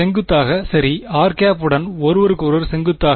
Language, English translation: Tamil, Perpendicular right, r hat and theta at perpendicular to each other right